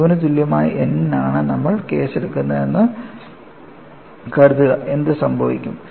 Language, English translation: Malayalam, Suppose, you take the case for n equal to 0, what happens